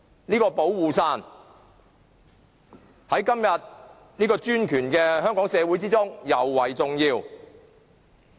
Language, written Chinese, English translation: Cantonese, 這把"保護傘"在今天專權的香港社會之中，尤為重要。, This umbrella of protection is especially important to the present - day Hong Kong society which is under autocratic rule